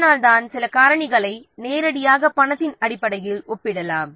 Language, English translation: Tamil, So, that's why some factors can be directly compared in terms of money